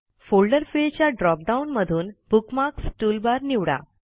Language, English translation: Marathi, From the Folder drop down menu, choose Bookmarks toolbar